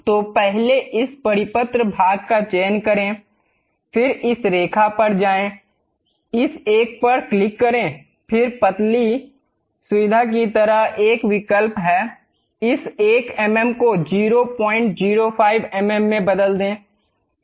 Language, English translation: Hindi, So, first select this circular portion, then go to this line, click this one; then there is option like thin feature, change this 1 mm to 0